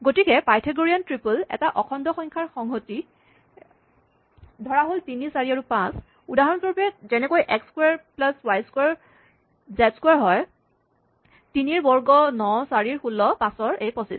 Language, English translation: Assamese, So, Pythagorean triple is a set of integers, say 3, 4 and 5, for example, such that, x square plus y square is z square; 3 square is 9; 4 square is 16; 5 square is 25